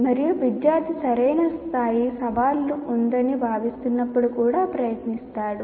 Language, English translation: Telugu, And then the student feels there is a right level of challenge